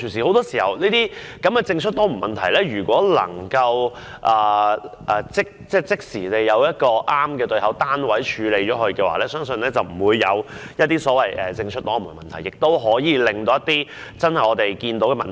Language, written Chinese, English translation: Cantonese, 很多時候，政出多門的問題......如果能夠即時找出正確的對口單位處理問題，我相信便不會出現政出多門的問題，亦可以盡快解決我們見到的問題。, Very often fragmentation of responsibilities I believe that if the correct corresponding unit can be identified right away fragmentation of responsibilities can be avoided and the problems we see can also be tackled very expeditiously